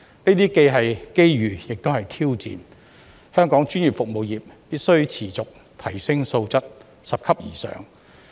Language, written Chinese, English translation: Cantonese, 這些既是機遇，又是挑戰，香港專業服務業必須持續提升質素，拾級而上。, All this has presented us with both opportunities and challenges . Hong Kongs professional services industry must enhance its quality on an ongoing basis and move up the ladder step by step